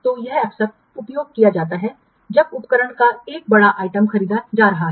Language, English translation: Hindi, So, this is often used when a large item of equipment is being a butt